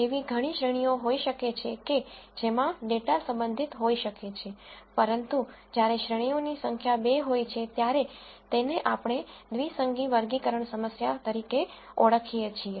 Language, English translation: Gujarati, There could be many categories to which the data could belong, but when the number of categories is 2, it is what we call as the binary classification problem